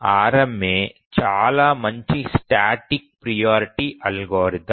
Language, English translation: Telugu, So, RMA is a very good static priority algorithm